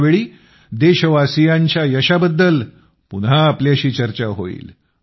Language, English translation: Marathi, Next time we will talk to you again about the many successes of our countrymen